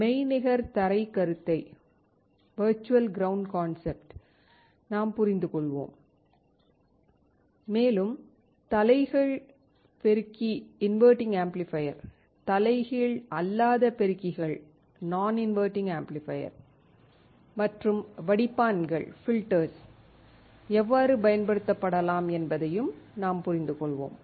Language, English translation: Tamil, We will understand the virtual ground concept and also talk about how an inverting amplifier, non inverting amplifiers and filters can be used